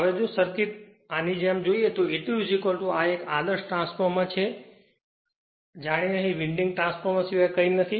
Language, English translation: Gujarati, Now, if you look into the circuit like this so, this is my E 2 is equal to this is an ideal transformer as if nothing is here except winding